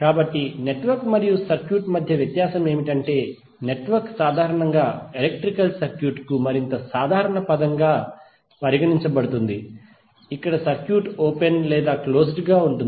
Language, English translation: Telugu, So the difference between network and circuit is that network is generally regarded as a more generic term for the electrical circuit, where the circuit can be open or closed